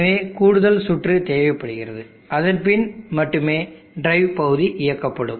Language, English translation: Tamil, So that extra circuitry is needed then only this portion of the drive will work